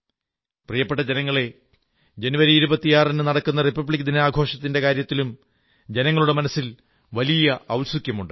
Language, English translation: Malayalam, My dear countrymen, there is a lot of curiosity regardingthe celebration of RepublicDay on 26th January, when we remember those great men who gave us our Constitution